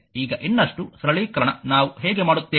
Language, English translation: Kannada, Now for further simplification how will do